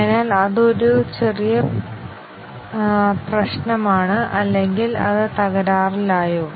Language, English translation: Malayalam, So, that is a minor problem or is it that it crashed